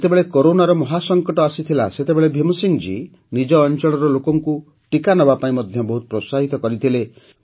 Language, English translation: Odia, When the terrible Corona crisis was looming large, Bhim Singh ji encouraged the people in his area to get vaccinated